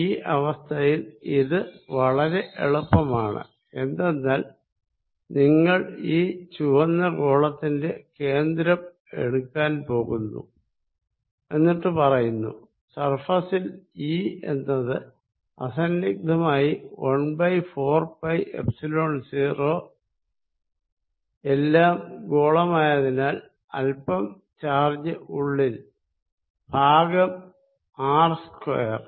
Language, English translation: Malayalam, In this case, it is very easy, because you going to take the center of the red sphere, you are going to say that E at the surface is; obviously, 1 over 4 pi Epsilon 0, because all is spherical some charge inside divided by R square that is the magnitude